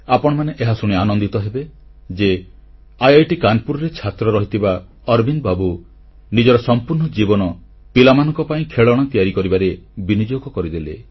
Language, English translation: Odia, It will gladden your heart to know, that Arvind ji, a student of IIT Kanpur, spent all his life creating toys for children